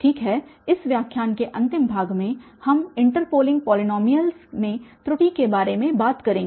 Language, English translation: Hindi, Well, so the another, the last portion of this lecture we will be talking about the error in the interpolating polynomials